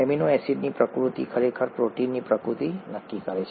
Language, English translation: Gujarati, The nature of the amino acids, actually determines the nature of the proteins